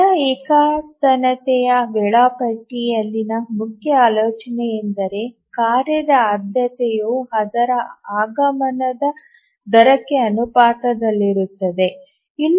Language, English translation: Kannada, The main idea in the rate monotonic scheduler is that the priority of a task is proportional to its rate of arrival